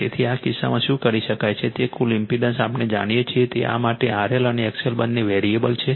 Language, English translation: Gujarati, So, in this case your what you can do is that your total impedance your we know that for the this one R L and X L both are variable